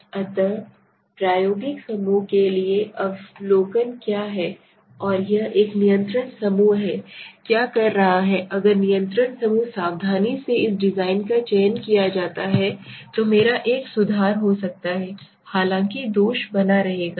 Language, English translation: Hindi, So one what the observation is taken for the experimental group and there is a control group what is saying if the control group is carefully selected this design my can be an improvement although the flaw will remain